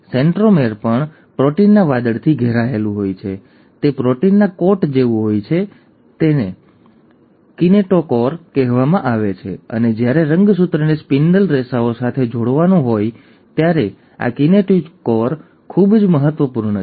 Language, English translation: Gujarati, The centromere is also surrounded by a cloud of proteins, it is like a coat of proteins which is called as the kinetochore, and this kinetochore is very important when a chromosome has to attach itself to the spindle fibres